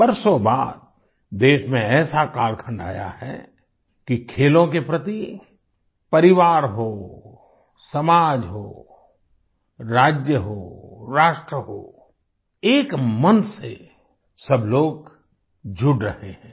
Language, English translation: Hindi, After years has the country witnessed a period where, in families, in society, in States, in the Nation, all the people are single mindedly forging a bond with Sports